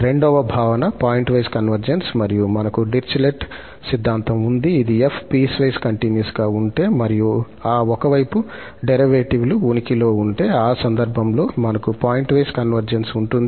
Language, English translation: Telugu, The second notion was the pointwise convergence and we have the Dirichlet theorem which says that if f is piecewise continuous and those one sided derivatives exist, then, in that case, we have the pointwise convergence